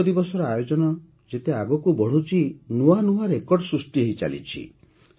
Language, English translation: Odia, As the observance of Yoga Day is progressing, even new records are being made